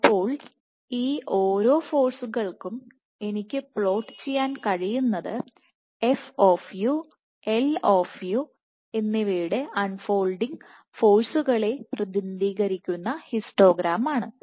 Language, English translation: Malayalam, So, for each of these forces what I can plot is the histogram corresponding to the unfolding force f of u and L of u